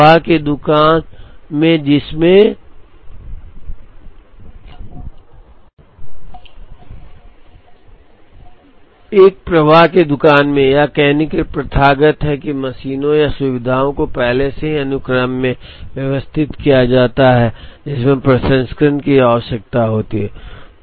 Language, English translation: Hindi, So, in a flow shop it is customary to say that the machines or facilities are already arranged in the sequence, in which the processing is required